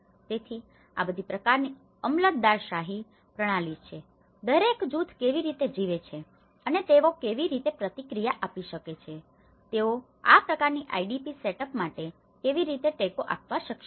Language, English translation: Gujarati, So, these are all a kind of bureaucratic system, how each group is living and how they are able to response, how they are able to give support for this kind of IDP setup